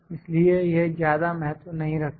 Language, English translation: Hindi, So, it could not matter much